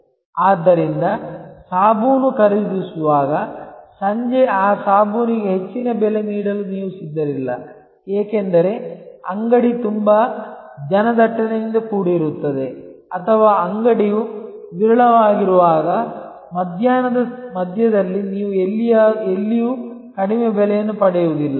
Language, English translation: Kannada, So, when a buying a soap, you are not prepared to pay higher price for that soap in the evening, because the shop is very crowded or nowhere can you actually get a lower price in the middle of the afternoon, when the shop is seldom visited by consumer